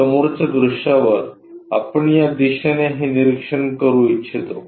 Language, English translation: Marathi, On the front view, we would like to observe it in this direction